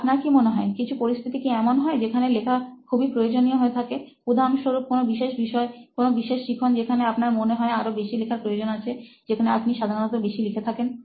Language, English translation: Bengali, Do you feel, are there scenarios where you feel it is more necessary to write than, say for example, a certain subject, a certain kind of learning where you feel you need to write more, where you feel you generally write more